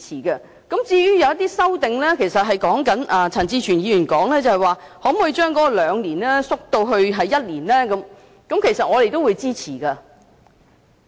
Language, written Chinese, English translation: Cantonese, 陳志全議員的修正案提出，將"相關人士"最少同住的年期由兩年縮短為一年，我們都會支持。, Mr CHAN Chi - chuens amendment proposes to shorten the minimum duration of cohabitation required for related person from two years to one year and we will also support it